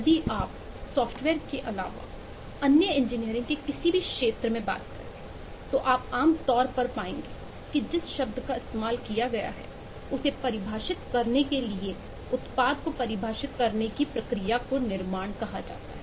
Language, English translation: Hindi, if you tell into any field of engineering other than software, you will typically find that the word used at the to define the activity, to define the product, is called constructions